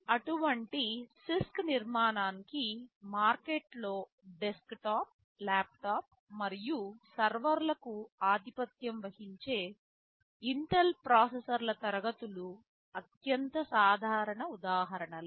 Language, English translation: Telugu, The most common example of such CISC architecture are the Intel classes of processors which dominate the desktop, laptop and server markets